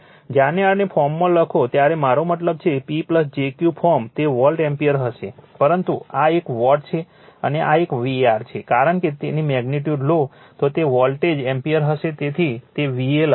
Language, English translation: Gujarati, When you write this in form, I mean P plus jQ form, it will be volt ampere right, but this one is watt, and this one is var because, if you take its magnitude, it will be volt ampere that is why we write VA